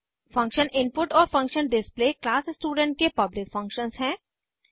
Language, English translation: Hindi, Function input and function display are the public functions of class student